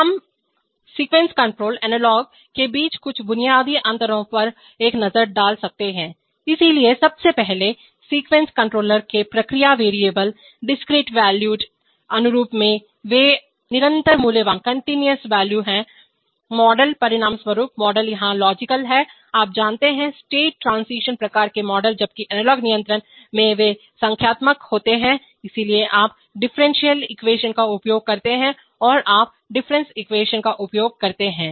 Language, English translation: Hindi, We can take a look at some basic differences between sequence controller analog, so firstly the process variables in the sequence controller, discrete valued, in analog they are continuous valued, the model, as a consequence the model here is logical typically, you know, state transition kind of models while in analog control they are numerical, so you use either differential equation or you use difference equation